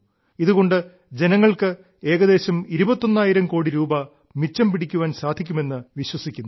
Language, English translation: Malayalam, It is estimated that this will save approximately 21 thousand crore Rupees of our countrymen